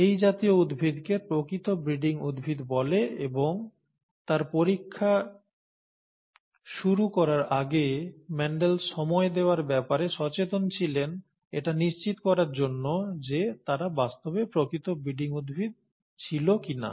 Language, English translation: Bengali, Such plants are called true breeding plants and Mendel was careful to spend the time to achieve true, to make sure that they were indeed true breeding plants before he started out his experiments